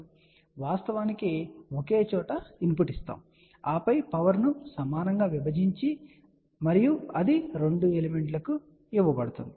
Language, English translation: Telugu, So, what will you do so we actually gave input at one place and then the power is divided equally and that is given to the 2 element